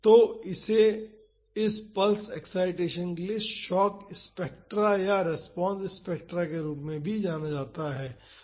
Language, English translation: Hindi, So, this is also known as a shock spectra or the response spectra for this pulse excitation